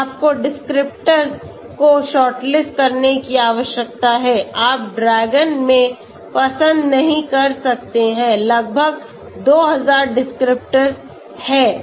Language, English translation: Hindi, Then, you need to shortlist descriptors, you cannot take like in DRAGON there are almost 2000 descriptors